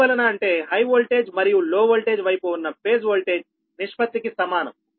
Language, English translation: Telugu, because are the same as the ratio of the phase voltage on the high voltage and low voltage side